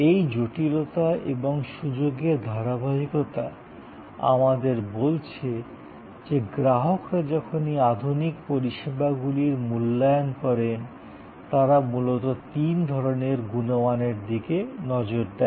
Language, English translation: Bengali, This complexity and opportunity continuum tell us that consumer, when they evaluate this modern range of services; they primarily look at three types of qualities